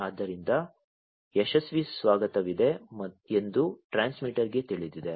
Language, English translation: Kannada, So, the transmitter knows that there has been a successful reception